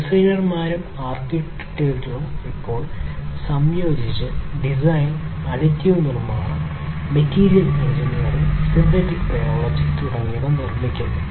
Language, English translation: Malayalam, So, designers and architects are, now, combining, computational design, additive manufacturing, material engineering, synthetic biology and so on